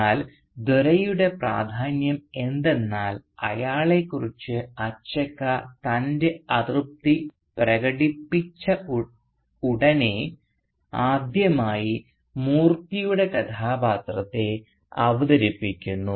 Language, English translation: Malayalam, But Dore’s significance the reference to Dore, the significance of that, lies in the fact that immediately after expressing her displeasure regarding him Achakka introduces the character of Moorthy for the first time